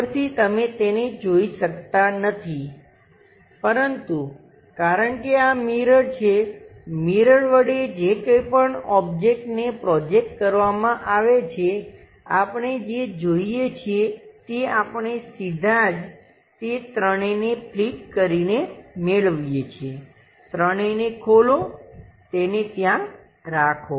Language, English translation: Gujarati, From top, you cannot see it, but because it is a mirror whatever this object projected mirror that object whatever we are going to see that we are straight away getting by flipping this entire 3rd one, open the 3rd one, keep it there